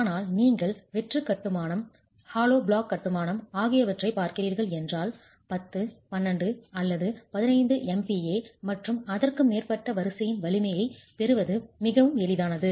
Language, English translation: Tamil, But if you are looking at hollow construction, hollow block construction, it is quite easy to get strengths that are of the order of 10, 12 or 15 MPA and higher